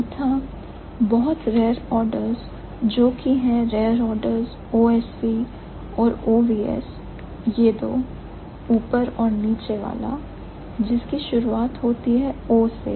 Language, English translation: Hindi, And fourthly, the very rare orders, which are the rare orders, OSV and OVS, these two, the upper and the lower one, the ones which start from O